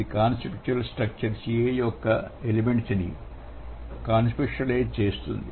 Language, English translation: Telugu, It involves conceptualizing one element of conceptual structure CA